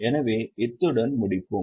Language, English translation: Tamil, So, with this we will stop